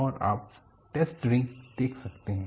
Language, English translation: Hindi, And you can see the test read